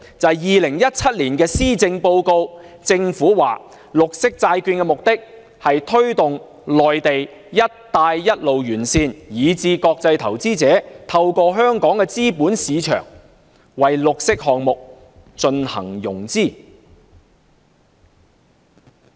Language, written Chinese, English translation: Cantonese, 在2017年施政報告中，政府說發行綠色債券的目的是推動內地、"一帶一路"沿線以至國際投資者透過香港的資本市場為綠色項目進行融資。, As stated by the Government in the Policy Address 2017 the issuance of green bonds seeks to encourage investors in the Mainland and along the Belt and Road as well as international investors to arrange financing of their green projects through our capital markets